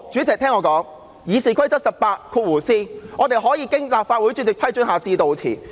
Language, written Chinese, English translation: Cantonese, 根據《議事規則》第 18b 條，議員可以經立法會主席批准致悼辭。, Under RoP 18b Members may subject to the approval of the President of the Legislative Council make obituary speeches